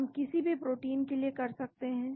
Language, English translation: Hindi, We can do for any protein